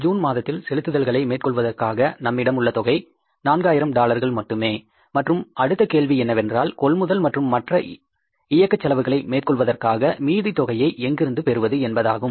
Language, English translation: Tamil, It means for making the payments in the month of June we will have with us only $400,000 and the next question is from where the remaining amount will come for making the payment for purchases and other operating expenses